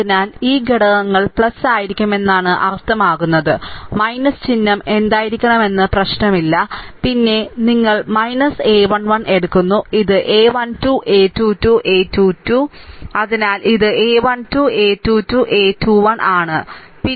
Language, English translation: Malayalam, So, minus means that your this elements will be plus minus, it does not matter the sign should be minus then minus you take the a 1 3, this is a a 1 3, a 2 2, a 3 1 so, it is a 1 3 a 2 2 a 3 1, right